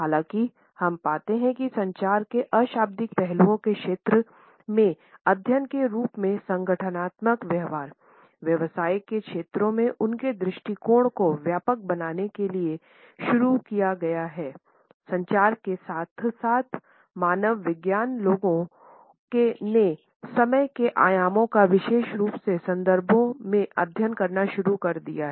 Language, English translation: Hindi, However, we find that as studies in the field of nonverbal aspects of communication is started to broaden their perspective, in the areas of organizational behavior, business communication as well as an anthropology people started to study the dimensions of time in particular contexts